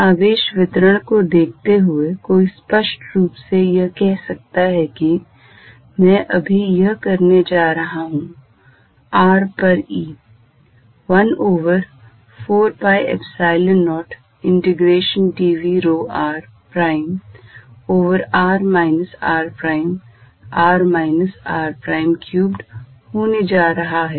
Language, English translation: Hindi, One is obviously going to say that given a charge distribution, I am just going to do this E at r is going to be 1 over 4 pi Epsilon 0 integration dv rho r prime over r minus r prime r minus r prime cubed here